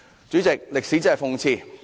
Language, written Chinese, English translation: Cantonese, "主席，歷史真的諷刺。, President history is really ironic